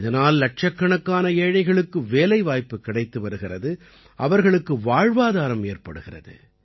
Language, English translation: Tamil, Due to this lakhs of poor are getting employment; their livelihood is being taken care of